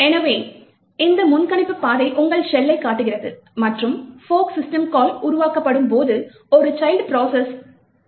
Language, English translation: Tamil, So, this predictor trail shows your shell and when the fork system calls get created is, at child process gets created